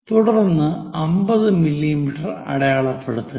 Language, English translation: Malayalam, Then 50 mm, we have to locate it